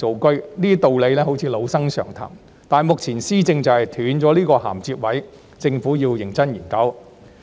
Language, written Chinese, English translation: Cantonese, 雖然這些道理好像老生常談，但目前施政就是斷了這個銜接位，政府要認真研究。, Although these arguments may sound like cliché it is time for the Government to earnestly look into this broken link in its governance